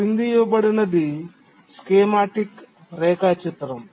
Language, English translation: Telugu, Now let's throw a schematic diagram